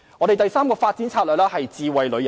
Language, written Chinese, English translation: Cantonese, 第三個發展策略是智慧旅遊。, The third development strategy is smart tourism